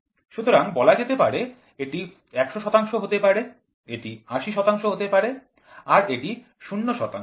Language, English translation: Bengali, So, they said 100 percent may be 80 percent and it had 0 percent